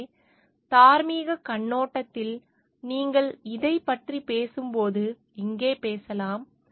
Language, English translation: Tamil, So, here maybe it talks when you are talking of this from the moral perspective